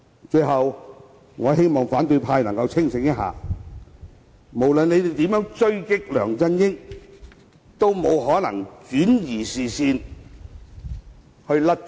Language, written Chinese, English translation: Cantonese, 最後，我希望反對派能夠清醒一下，無論他們如何狙擊梁振英，也沒有可能轉移視線以脫罪。, Finally I hope the opposition camp could sober up . No matter how they attack LEUNG Chun - ying there is no way they can shift peoples attention and be acquitted of their charges